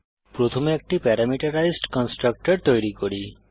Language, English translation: Bengali, Let us first create a parameterized constructor